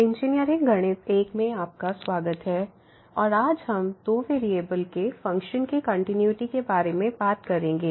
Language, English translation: Hindi, Welcome to engineering mathematics 1 and today we will be talking about a Continuity of Functions of two Variables